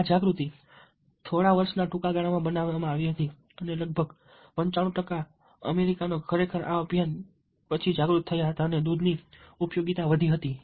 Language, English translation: Gujarati, this awareness built up over a period of short span of couple of years and almost ninety five percent of the americans actually were became aware after this campaign got milk